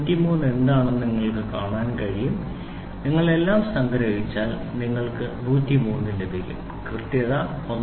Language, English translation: Malayalam, So, you can see what is not 3 if you sum it up all you will get 103 you will have one piece of accuracy 1